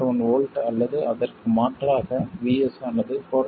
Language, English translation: Tamil, 7 volts and now the value of VS changes